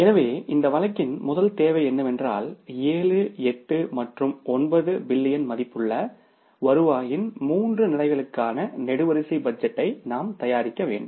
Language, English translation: Tamil, So, the first requirement of this case was that we had to prepare the columnar budget for the three levels of the 7, 8 and the 9 billion worth of the revenues